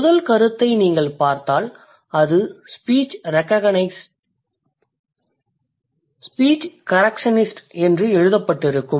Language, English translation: Tamil, The first point if you look at it, it's written the speech correctionist